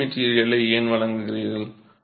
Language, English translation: Tamil, Why do you provide a lining material